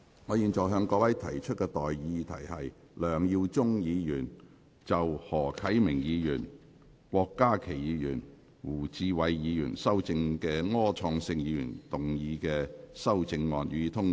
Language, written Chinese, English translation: Cantonese, 我現在向各位提出的待議議題是：梁耀忠議員就經何啟明議員、郭家麒議員及胡志偉議員修正的柯創盛議員議案動議的修正案，予以通過。, I now propose the question to you and that is That the amendment moved by Mr LEUNG Yiu - chung to Mr Wilson ORs motion as amended by Mr HO Kai - ming Dr KWOK Ka - ki and Mr WU Chi - wai be passed